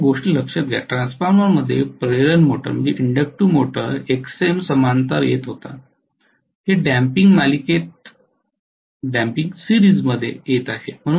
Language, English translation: Marathi, Please note one thing, in transformer, in induction motor Xm was coming in parallel, this damping is coming in series